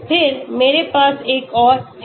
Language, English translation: Hindi, Then, I have another one